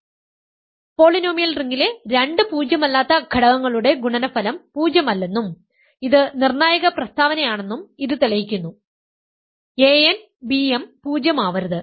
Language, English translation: Malayalam, So, this proves that product of 2 non zero elements in the polynomial ring is non zero and the crucial statement is this: you need that a n b m is non zero